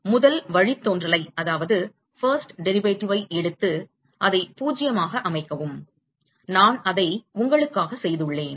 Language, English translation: Tamil, You take the first derivative and set that to 0 and I have done that for you